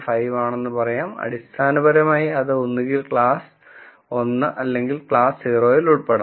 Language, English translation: Malayalam, 5, then basically it could either belong to class 1 or class 0